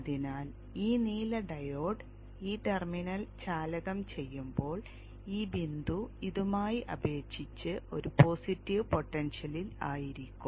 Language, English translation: Malayalam, So when this blue diode is conducting this terminal, this point is at a positive potential with respect to this